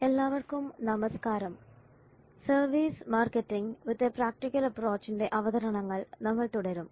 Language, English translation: Malayalam, Hello, everybody, we continue our services marketing with a practical approach